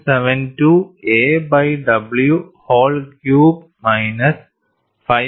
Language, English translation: Malayalam, 72 a by w whole cubed minus 5